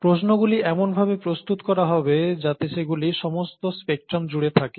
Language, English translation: Bengali, These, questions would be designed such that they are all across the spectrum